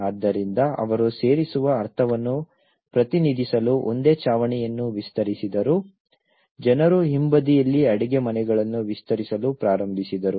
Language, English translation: Kannada, So, what did it was they extended one single roof to represent the sense of belonging, people started in expanding the kitchens at the rear